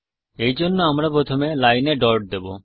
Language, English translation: Bengali, For this, we will first put a dot on the line